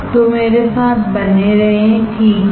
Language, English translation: Hindi, So, be with me, alright